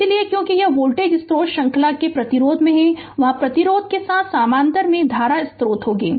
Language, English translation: Hindi, So, because it is voltage source is in series resistance, there it will be current source in parallel with the resistance